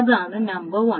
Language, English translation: Malayalam, That is number one